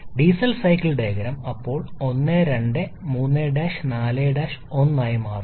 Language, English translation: Malayalam, Diesel cycle diagram now becomes 1 2 3 prime 4 prime 1